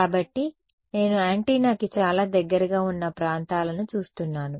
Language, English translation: Telugu, So, I am looking at regions very close to the antenna right